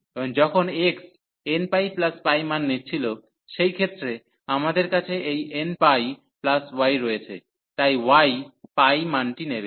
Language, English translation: Bengali, And when x was taking the value n pi plus this pi, so in that case we have this n pi plus y, so the y will take the value pi